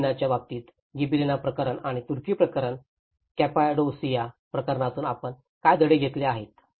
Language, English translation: Marathi, Along with the Gibellinaís case, what the lessons we have learned from Gibellina case and the Turkish case, Cappadocia case